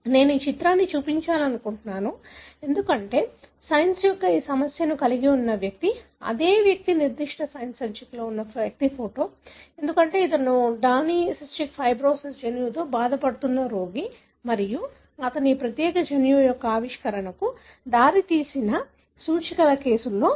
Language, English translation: Telugu, I wish to show this picture, because the person who is holding this issue of Science is the same person, who’s photograph is in the issue of that particular Science, because he is Danny who happened to be a patient suffering from cystic fibrosis gene and he was one of the index cases that led to the discovery of this particular gene